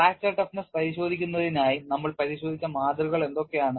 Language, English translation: Malayalam, Yeah What are the specimens that we have looked at for fracture toughness testing